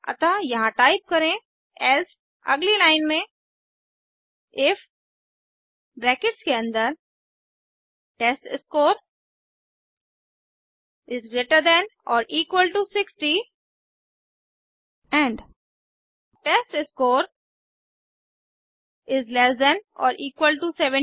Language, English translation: Hindi, So type here, Else, Next line if within brackets testScore greater than or equal to 60 and testScore less than or equal to 70